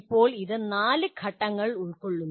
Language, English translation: Malayalam, Now it consists of 4 stages